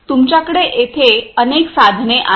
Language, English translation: Marathi, You have number of instruments that are there